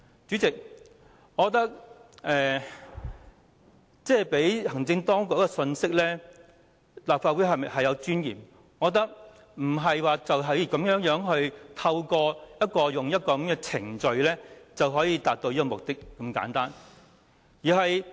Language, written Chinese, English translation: Cantonese, 主席，我覺得向行政當局發放立法會有尊嚴這信息，並非透過簡單的程序就可以達到目的。, President I do not think we can achieve the purpose of sending the message to the executive that the Legislative Council has dignity simply by procedural means